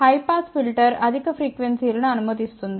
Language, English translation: Telugu, High pass filter passes higher frequencies